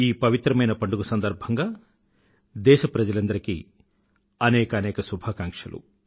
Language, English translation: Telugu, On the occasion of Sanskrit week, I extend my best wishes to all countrymen